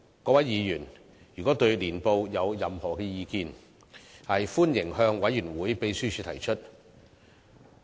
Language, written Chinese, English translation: Cantonese, 各位議員如對年報有任何意見，歡迎向委員會秘書提出。, Should Members have any comments on the Annual Report they are welcome to forward their views to the Secretary of the Committee